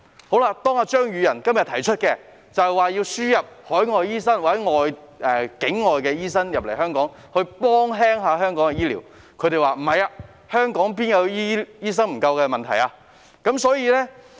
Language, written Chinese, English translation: Cantonese, 可是，今天，當張宇人提出議案，要求輸入海外醫生或境外醫生來港紓緩香港醫療人手的問題時，他們又否認香港醫生人手不足。, Yet today when Mr Tommy CHEUNG proposed the motion calling for the importation of overseas doctors or non - locally trained doctors to alleviate the shortage of healthcare manpower in Hong Kong they denied the shortage of doctors in Hong Kong